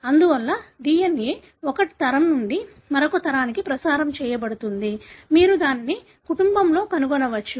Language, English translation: Telugu, Therefore the DNA is transmitted from one generation to the other; you could trace it in the family